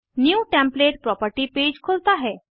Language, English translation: Hindi, New template property page opens